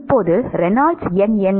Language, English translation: Tamil, Now what is the Reynolds number